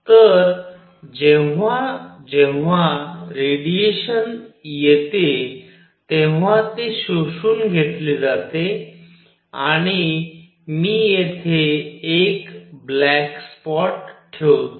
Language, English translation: Marathi, So, that whenever radiation falls on that it gets absorbed plus I will put a black spot here